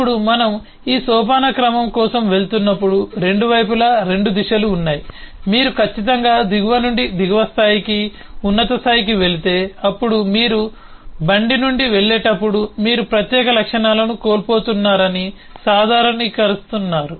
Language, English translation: Telugu, now, as we go for this hierarchy, then on the 2 sides there are 2 directions showing that certainly, if you go from below to lower level to a higher level, then you are actually generalising that you are losing special properties